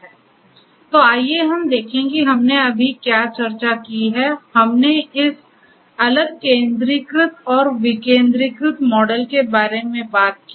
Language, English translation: Hindi, So, let us look at what we have just discussed so, we talked about we talked about this different centralized and decentralized models